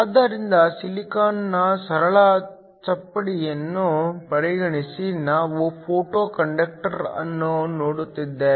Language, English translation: Kannada, So, consider a simple slab of silicon, we are looking at a Photo conductor